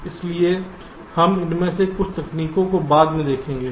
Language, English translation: Hindi, so we shall see some of these techniques later